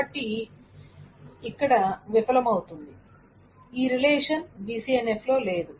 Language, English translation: Telugu, So it is not always possible to ensure that a relationship is in BCNF